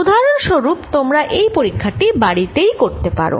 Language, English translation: Bengali, as an example, you can do this experiment at home